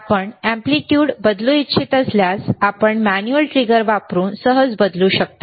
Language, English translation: Marathi, iIf you want to change the amplitude, you can easily change using the manual trigger